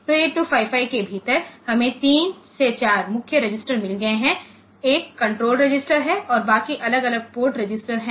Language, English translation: Hindi, So, within 8255, we have got 3 4 main registers; one is the control register and the rest are the port different port registers